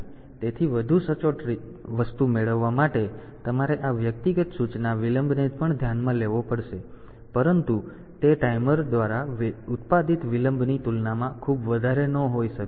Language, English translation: Gujarati, So, to get a more accurate thing like you have to take into account this individual instruction delays also, but they are they may not be very high compared to the delay that is produced by the timer